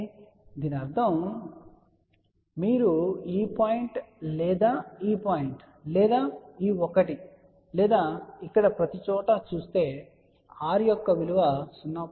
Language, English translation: Telugu, So that means, if you look at this point or this point or this one or here everywhere, the value of the r will remain 0